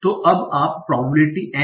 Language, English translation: Hindi, So now what is my probability